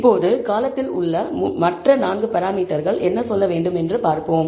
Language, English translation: Tamil, Now, let us see what other 4 parameters in the column have to say